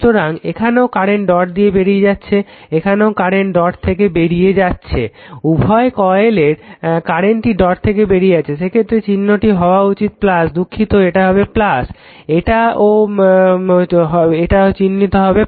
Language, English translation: Bengali, So, here also current leaving the dot, here also current leaving the dot current both the coils current leaving the dot; in that case this sign should be plus right sorry not this one sign should be plus this one and this one the sign should be plus